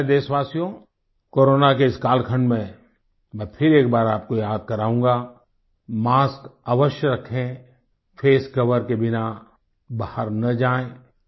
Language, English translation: Hindi, My dear countrymen, in this Corona timeperiod, I would once again remind you Always wear a mask and do not venture out without a face shield